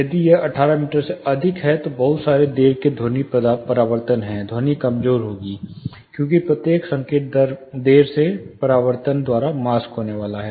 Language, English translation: Hindi, If it is greater than 68 meters, there is lot of late sound reflection; the sound will be weak, because each signal is going to be masked by the late reflection